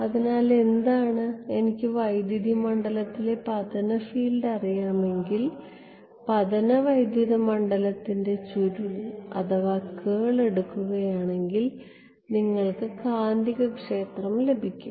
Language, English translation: Malayalam, So, what, if I know incident field in the electric if I know the incident electric field take the curl you get the magnetic field right